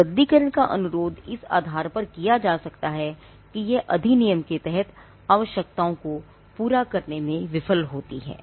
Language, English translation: Hindi, The grounds on which a cancellation can be requested for is that it fails to satisfy the requirements under the act